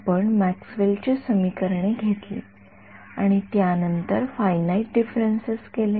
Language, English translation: Marathi, We took Maxwell’s equations and then and did finite differences right so, finite